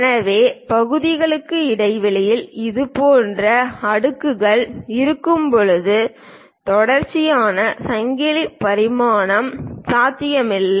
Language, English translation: Tamil, So, a continuous chain dimensioning is not possible when such kind of layers exist between the parts